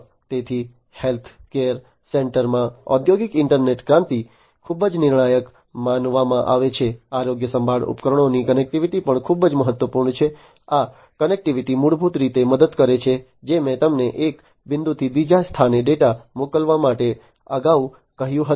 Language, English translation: Gujarati, So, the industrial internet revolution in the healthcare center is considered to be very crucial, connectivity of healthcare devices is also very important this connectivity basically helps, in what I was telling you earlier to send the data from one point to another